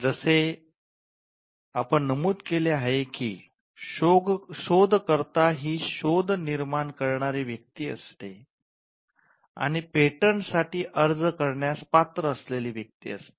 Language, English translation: Marathi, As we mentioned, the inventor is the person who creates the invention and he is the person who is entitled to apply for a patent